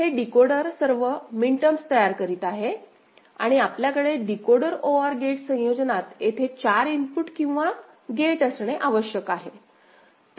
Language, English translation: Marathi, So, this decoder is generating all the minterms right and we need to have a 4 input OR gate over here in the Decoder OR gate combination